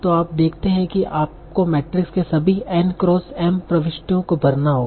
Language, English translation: Hindi, So you see, you had to fill all the n cross m entries of the matrix